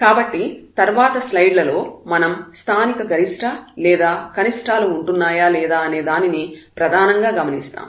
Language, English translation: Telugu, So, basically what we will observe now in the next slides that if the local maximum or minimum exists